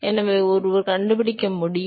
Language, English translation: Tamil, So, one could find